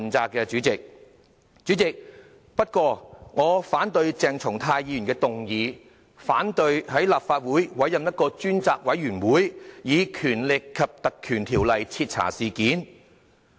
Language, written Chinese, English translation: Cantonese, 代理主席，不過，我反對鄭松泰議員的議案，反對在立法會委任專責委員會，以《立法會條例》徹查事件。, Deputy President I reject the motion moved by Dr CHENG Chung - tai however . I reject appointing a select committee in the Legislative Council and inquire into the incident under the Legislative Council Ordinance